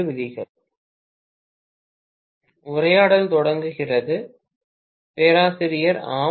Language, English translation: Tamil, [Professor student conversation starts] Yes